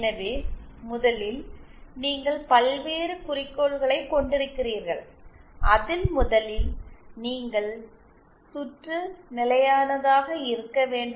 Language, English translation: Tamil, So one first there are various goals that you need to first of all the circuit should be stable